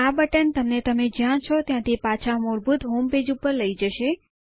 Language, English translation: Gujarati, This button takes you back to the default home page, from whichever webpage you are on